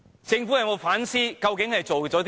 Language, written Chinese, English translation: Cantonese, 政府有否反思它究竟做了甚麼？, Has the Government reflected on what it has done?